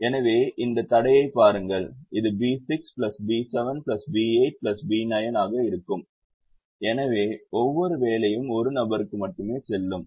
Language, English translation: Tamil, this will be b six plus b seven plus eight plus b nine, so each job will go to one person